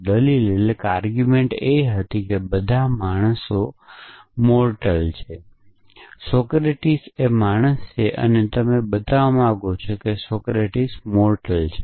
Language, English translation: Gujarati, The argument was all men are mortal, Socratic is the man and you want to show that Socratic is mortal